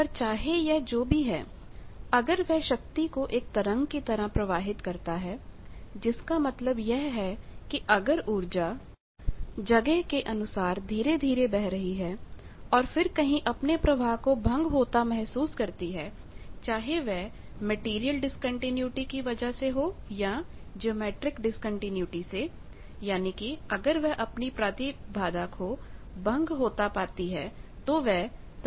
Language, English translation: Hindi, But whatever it is even if it sending the power it is sent in the form of wave, that means with space the energy gradually goes and then if it sees some discontinuity either a material discontinuity or geometric discontinuity etcetera that means, if it sees a impedance discontinuity then the wave gets reflected